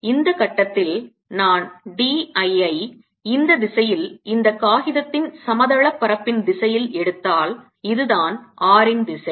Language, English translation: Tamil, so at this point if i take d l, which is in the direction of the plane of this paper, in this direction, this is the direction of r